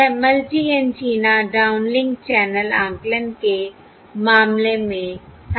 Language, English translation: Hindi, That was in the case of multi antenna downlink channel estimation